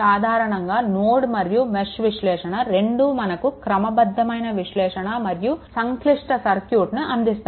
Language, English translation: Telugu, This is actually generally for both nodal and mesh analysis provide a systematic way of analysis and complex circuit right